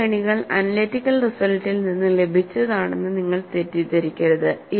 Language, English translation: Malayalam, You should not confuse that these series have been obtained from analytical bases